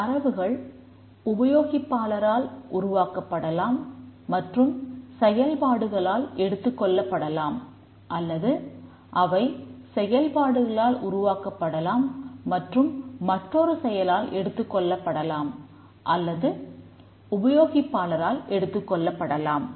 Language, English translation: Tamil, The data may be produced by a user and consumed by a process or it may be produced by a process and consumed by another process or may be another user